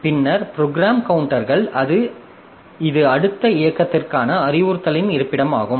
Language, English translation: Tamil, Then the program counters, so it is the location of instruction to the next execute